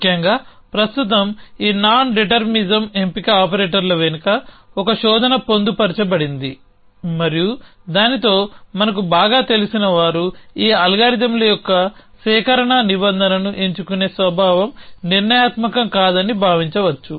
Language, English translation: Telugu, So, essentially in currently there is a search embedded behind this nondetermisum choose operators which we and a familiar with that here we will assume that somehow a choosing the collect clause of this algorithms is nondeterministic in nature